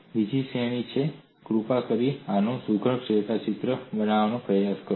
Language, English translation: Gujarati, The other category is, please try to make neat sketch of this